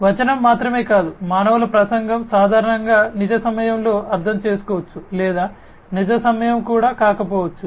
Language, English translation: Telugu, Not just the text, but the speech of the human beings can be understood typically in real time or, you know, may not be real time as well